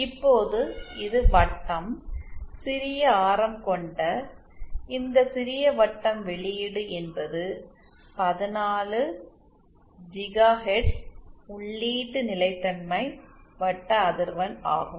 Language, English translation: Tamil, Now this is the circle ok, this small circle with small radius is the output is the input stability circle frequency of 14 gigahertz